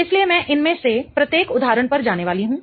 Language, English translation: Hindi, Okay, so I'm going to go over each one of these examples